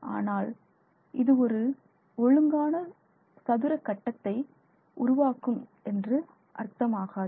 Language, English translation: Tamil, It does not mean that they are going to be sitting in a perfect square grid